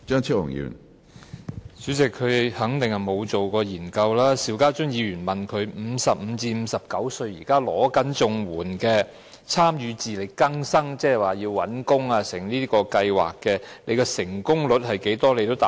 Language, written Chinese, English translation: Cantonese, 主席，他肯定沒有進行過研究，邵家臻議員問他55歲至59歲現時正領取綜援的參與自力更新計劃人士，即協助他們尋找工作的計劃的成功率為何，他也未能回答。, President he certainly has not conducted any study . Mr SHIU Ka - chun asked him the success rate of IEAPS which helps CSSA recipients aged between 55 and 59 find jobs but he could not give any answer